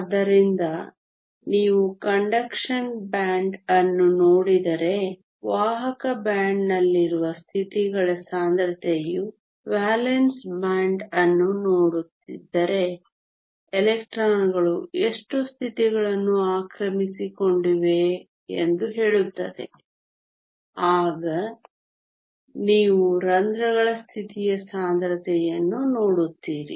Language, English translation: Kannada, So, if you looking at the conduction band the density of states in the conduction band tells you how many states are there for electrons to occupy if you are looking at the valence band then you look at the density of states of holes